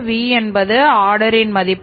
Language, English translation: Tamil, V is the value of order